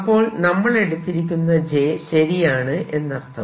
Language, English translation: Malayalam, so our j is correct